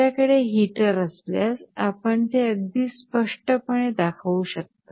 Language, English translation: Marathi, If you have a heater you can show it in a very clear way